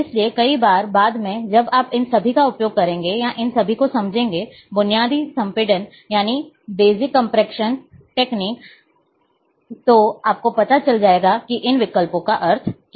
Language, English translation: Hindi, So, many times now, when now later on, when you will use, or understand all these, basic compression techniques, then you would know what is the meaning of those options are